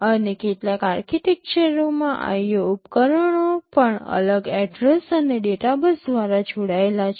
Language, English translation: Gujarati, And in some architectures the IO devices are also connected via separate address and data buses